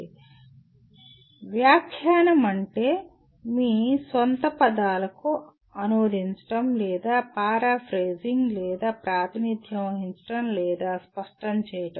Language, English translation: Telugu, Interpretation means translating into your own words or paraphrasing or represent or clarify